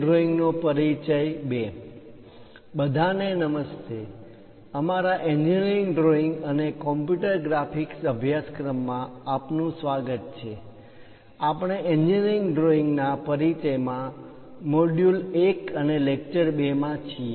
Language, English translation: Gujarati, Hello everyone, welcome to our Engineering Drawing and Computer Graphics course; we are in module 1 and lecture 2 in Introduction to Engineering Drawing